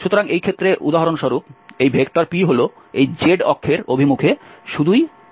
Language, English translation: Bengali, So, in this case this p for example, is going to be just the k in the direction of z axis